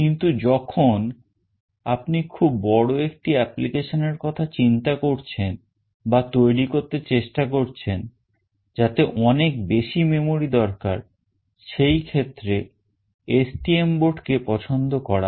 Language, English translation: Bengali, But when you think of a very huge application that you are trying to build, which requires higher memory, in that case STM board will be preferred